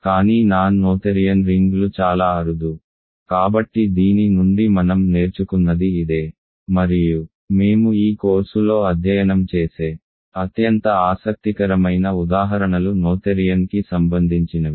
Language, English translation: Telugu, But non noetherian rings are very rare, so that is a take away from this and the most interesting examples that we will study in this course are noetherian